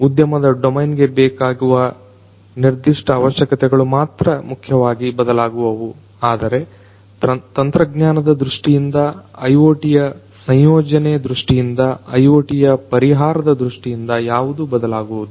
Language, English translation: Kannada, The only thing that changes is basically the industry domain specific requirements, but from a technology point of view, from an IoT deployment point of view and IoT solution point of view things are essentially the same